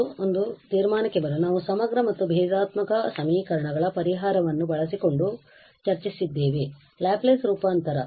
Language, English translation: Kannada, And just to conclude, we have discuss the solution of integral and differential equations using Laplace transform